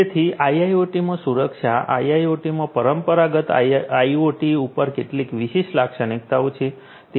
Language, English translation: Gujarati, So, security in IIoT, there are certain distinguishing characteristics over the traditional IoT